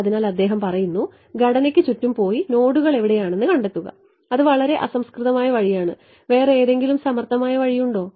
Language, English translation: Malayalam, So, he is saying go around the structure and find out where the nodes are that is a very crude way is there a smarter way